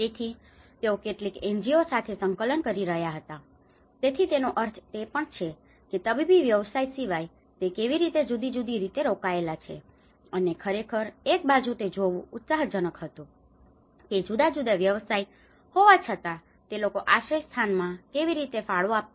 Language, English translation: Gujarati, So, they were coordinating with some NGOs, so which means even a medical body apart from his medical profession how he is engaged in a different manner has actually you know and one side it is exciting to see how a different profession is contributing to the shelter process